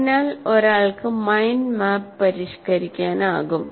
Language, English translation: Malayalam, So one can modify the mind map